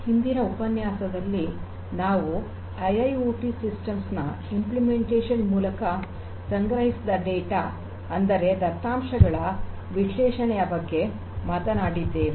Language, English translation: Kannada, In the previous lecture we talked about the importance of analysis of the data that are collected through these implementation of IIoT systems